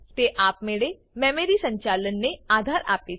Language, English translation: Gujarati, It supports automatic memory management